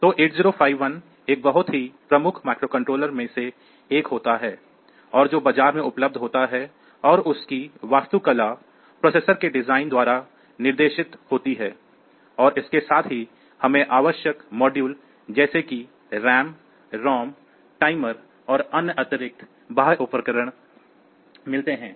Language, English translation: Hindi, So, 8051 happens to be 1 of the very prominent microcontrollers that are there in the market and the it is architecture is guided by the design of this processor and along with that we have got essential modules like say RAM ROM and timers and all those additional peripherals